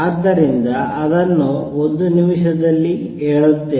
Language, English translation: Kannada, So, let me just tell you that also in a minute